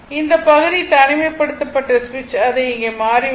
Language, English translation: Tamil, So, this part is isolated switch has been thrown it here